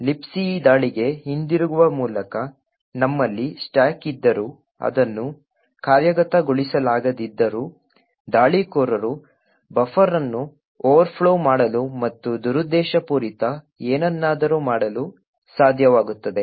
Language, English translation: Kannada, With a return to libc attack even though we have a stack which is non executable, still an attacker would be able to overflow a buffer and do something malicious